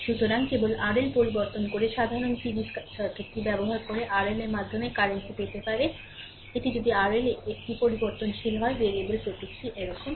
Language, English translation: Bengali, So, using the simple series circuit by just changing R L, we can get the current through R L’ if it is if R L is a variable; variable symbol is like this, right